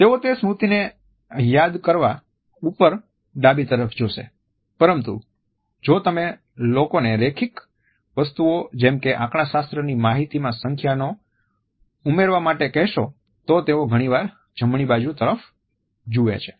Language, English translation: Gujarati, They will look up onto the left as they recall that memory, but if you ask people about linear things like data statistics ask them to add up numbers, they quite often look up onto the right